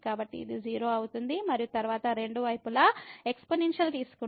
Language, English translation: Telugu, So, this will become 0 and then taking the exponential of both the sides